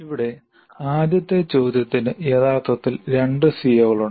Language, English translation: Malayalam, So here if you see the first question actually has two COs covered by that